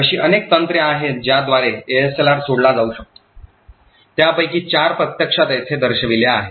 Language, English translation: Marathi, There are various techniques by which ASLR can be bypassed, four of them are actually shown over here